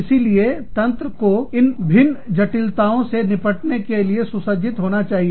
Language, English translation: Hindi, So, the system has to be equipped, to deal with these different complexities